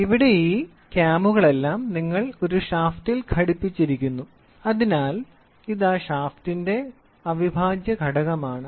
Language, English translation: Malayalam, So, here it all these cams are attached to your shaft or it is an integral part of a shaft